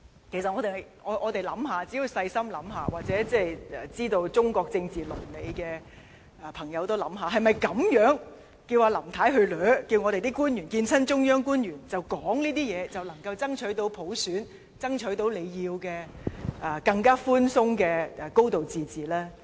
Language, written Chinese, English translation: Cantonese, 其實，我們只須細心想想，或者了解中國政治倫理的朋友也可想想，是否叫林太這樣子"死纏爛打"，叫官員每次會見中央官員也說這些話，便能夠爭取到普選，爭取到大家想要、更寬鬆的"高度自治"呢？, We just have to think carefully if this is practical at all . People with good understanding of politics in China can think about it too . Can we really achieve universal suffrage and have more room for a high degree of autonomy as your wish by pestering the Central Authorities and repeating all these demands every time Mrs LAM meets Mainland officials?